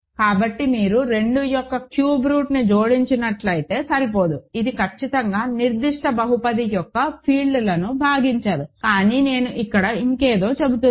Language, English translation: Telugu, So, if you just add cube root of 2 that is not enough, this is certainly not splitting field of that particular polynomial, but I am saying something more here